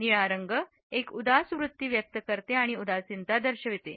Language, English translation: Marathi, The blue expresses a melancholy attitude and suggest depression